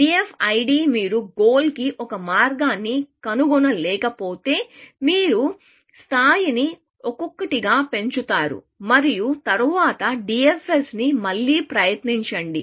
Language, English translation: Telugu, The DFID, if you did not find a path to the goal, you would increment the level by one and then, try the DFS again